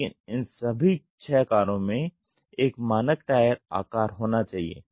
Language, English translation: Hindi, But all these six cars must have a standard tire dimensions